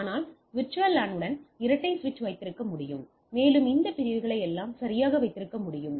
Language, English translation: Tamil, But with VLAN I can have a dual switch and have all this segments right